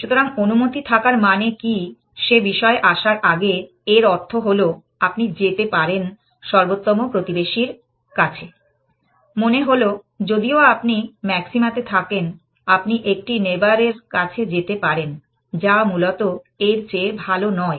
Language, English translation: Bengali, So, before we come to what is allowed means, it basically means that, you can move to the best neighbor, which means that, even if you are at maxima, you can go to a neighbor, which is not better than that essentially